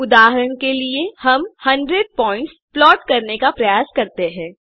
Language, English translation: Hindi, To illustrate this, lets try to generate 100 points